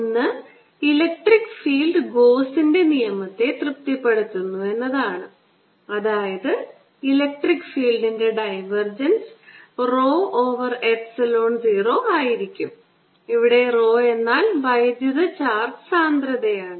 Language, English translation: Malayalam, the electric field satisfies gauss's law, which is that divergence of electric field is given as rho over epsilon zero, where rho is the electric charge density